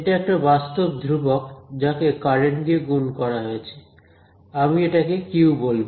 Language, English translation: Bengali, This is physical constant multiplied by the current, so, I am going to call it Q